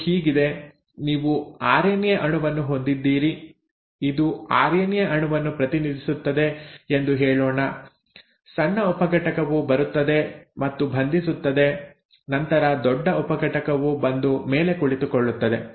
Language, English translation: Kannada, So, it is like this; you have the RNA molecule, let us say this represents the RNA molecule, the small subunit comes and binds and then the big subunit will come and sit on top